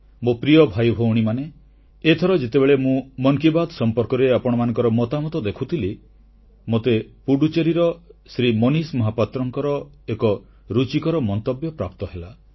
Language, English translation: Odia, My dear brothers and sisters, when I was going through your suggestion for Mann Ki Baat this time, I found a very interesting comment from Shri Manish Mahapatra from Pudducherry